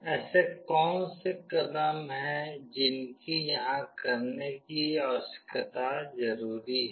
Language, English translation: Hindi, What are the steps that are required here to do the needful